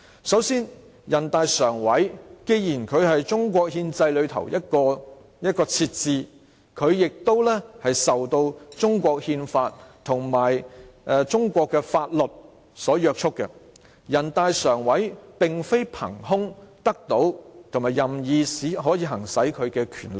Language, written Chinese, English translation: Cantonese, 首先，人大常委會既然是中國憲制中的設置，它亦受到中國憲法和中國的法律所約束，人大常委會並非憑空得到和可以任意行使其權力。, First since NPCSC is an organ in the constitutional system of China it is bound by the Constitution and the laws of China . NPCSC does not exercise its powers out of a vacuum; nor can it exercise its powers arbitrarily